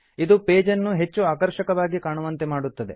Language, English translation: Kannada, This makes the page look more attractive